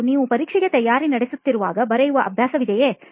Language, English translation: Kannada, And do you have the habit of writing while you are preparing for exam